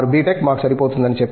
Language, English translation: Telugu, Tech is good enough for us